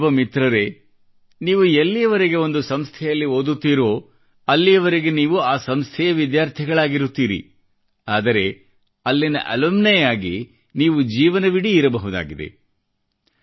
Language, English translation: Kannada, My young friends, you are a student of an institution only till you study there, but you remain an alumni of that institution lifelong